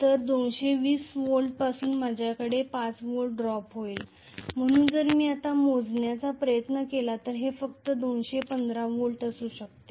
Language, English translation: Marathi, So from 220 I will have a drop of 5 volts so the terminal voltage if I try to measure now this may be only 215 volts